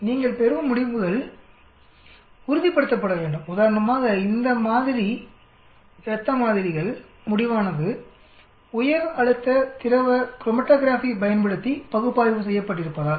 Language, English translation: Tamil, So you want to be sure whether the results you get because some of these sample blood samples for example, are analyzed using high pressure liquid chromatography